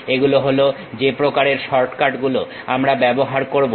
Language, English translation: Bengali, These are the kind of shortcuts what we use